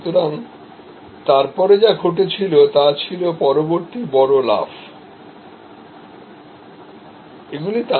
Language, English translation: Bengali, So, what happened next was the next big jump